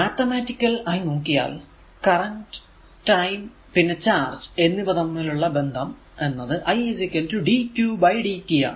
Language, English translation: Malayalam, So, mathematically the relationship between current and charge and time is different in that i is equal to dq by dt this is a equation 1